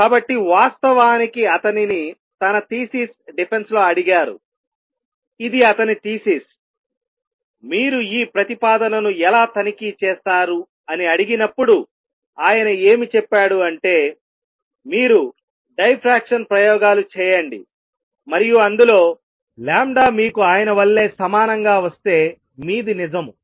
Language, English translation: Telugu, So, in fact, he was asked in his thesis defense this was his thesis how would you check this crazy proposal and he said you do diffraction experiments, and in that experiment if you get the lambda to be the same as obtained by him then it is true